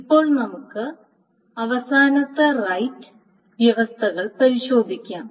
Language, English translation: Malayalam, Now let us test for the final right conditions